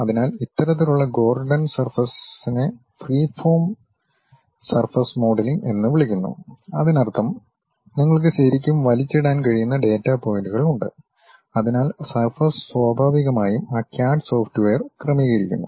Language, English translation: Malayalam, So, these kind of Gordon surface is called freeform surface modelling, that means, you have data points you can really drag drop, so that surface is naturally adjusted on that CAD software